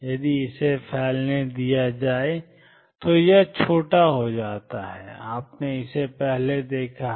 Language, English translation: Hindi, If let it spread it tends to become smaller and you seen this earlier